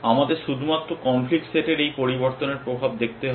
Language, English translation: Bengali, We only have to see the effect of these changes into the conflict set